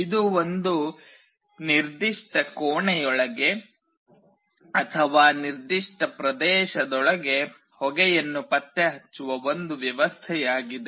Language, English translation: Kannada, It is a system that will detect smoke, whether it is present inside a particular room or a particular area